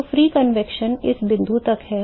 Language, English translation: Hindi, So, the free convection is till this point